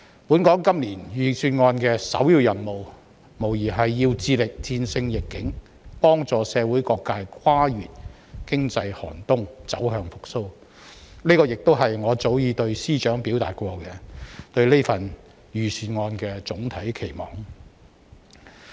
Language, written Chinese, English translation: Cantonese, 本港今年財政預算案的首要任務，無疑要致力戰勝疫境，幫助社會各界跨越經濟寒冬、走向復蘇，這是我早已對司長表達過對預算案的總體期望。, Undoubtedly in Hong Kong the primary task of this years Budget is to fight against the epidemic and help all sectors of society to overcome the economic winter and move towards recovery . This is my general expectation for the Budget which I have already told the Financial Secretary FS . In this regard the Budget has indeed done its homework